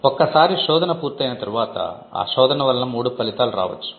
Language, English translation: Telugu, Once a search is done, they could be 3 possible outcomes to that search